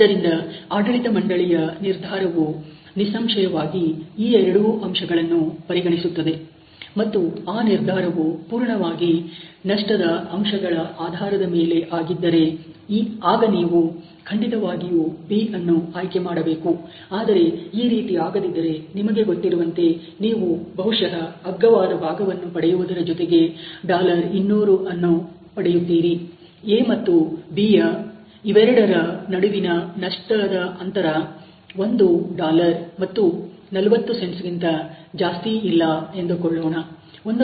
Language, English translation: Kannada, So, obviously the management decision then would look at both these aspects ok, and if purely the decision was on the bases of the loss factor then you would definitely choose B, but then otherwise you know you are probably gaining about $200 by getting the cheaper component whereas the loss the difference here between A and B is not more than let us say a one dollar and 40 cents